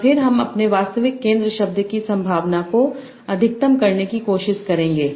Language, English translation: Hindi, And then I will try to maximize the probability of my actual center world